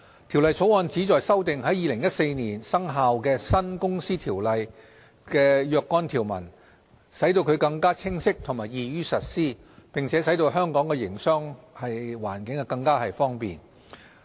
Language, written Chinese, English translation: Cantonese, 《條例草案》旨在修訂在2014年生效的新《公司條例》的若干條文，使其更清晰和易於實施，並使在香港營商更為方便。, The Bill seeks to amend certain provisions of the new Companies Ordinance CO which came into operation in 2014 so as to improve the clarity and operation of the new CO and to further facilitate business in Hong Kong